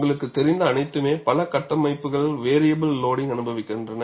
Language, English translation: Tamil, Because all you know, many structures experience variable loading